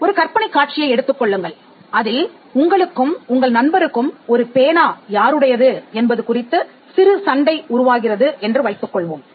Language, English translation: Tamil, Assume a scenario, where you and your friend have a small tussle with an ownership of a pen